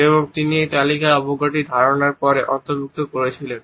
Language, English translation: Bengali, And he had incorporated the idea of contempt in this list later on